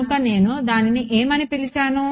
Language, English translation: Telugu, So, that is why I called it a